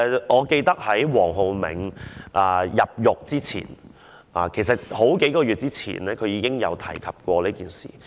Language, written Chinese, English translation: Cantonese, 我記得在黃浩銘入獄之前數個月，他已提及這件事。, I can recall that before Raphael WONG was sent to jail he had mentioned the incident